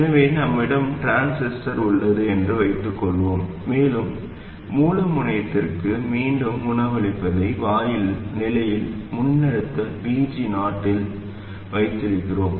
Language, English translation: Tamil, So let's say we have the transistor and because we are feeding back to the source terminal, we keep the gate at a fixed voltage VG 0